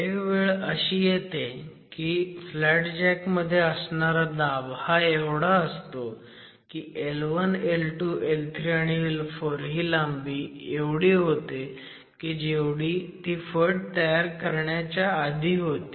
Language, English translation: Marathi, So, at some point the pressure that the flat jack is at is adequate for the gauge length L1, L2, L3 and L4 to be equal to what it was before the cutter